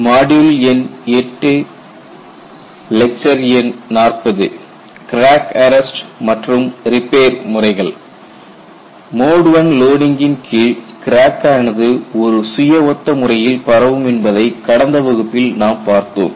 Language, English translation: Tamil, We have looked at in the last class that in the case of a mode one loading, the crack will propagate in a self similar manner